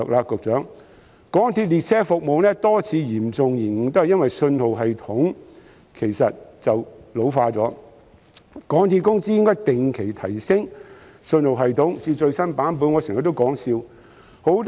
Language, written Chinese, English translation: Cantonese, 局長，港鐵列車服務過去多次嚴重延誤皆因信號系統老舊所致，港鐵公司應定期提升信號系統至最新版本。, Secretary the many serious disruptions of MTR train services in the past were caused by the ageing signalling system . MTRCL should regularly upgrade the signalling system to the latest version